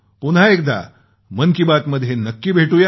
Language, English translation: Marathi, We will meet once again for 'Mann Ki Baat' next time